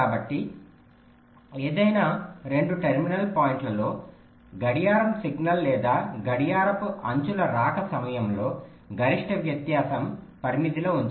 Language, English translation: Telugu, so across any two terminal points, the maximum difference in the arrival time of the clock signal or the clock edges should be kept within a limit